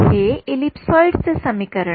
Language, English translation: Marathi, It is an equation of an ellipsoid